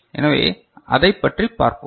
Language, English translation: Tamil, So, let us see how it works